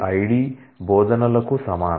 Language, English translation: Telugu, ID equals the teaches